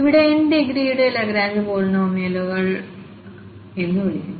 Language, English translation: Malayalam, So, these are called the Lagrange polynomials of degree n